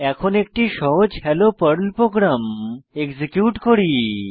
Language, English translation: Bengali, Now let us execute a simple Hello Perl program